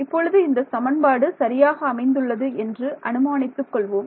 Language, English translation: Tamil, So, for now let us just assume that this equation is correct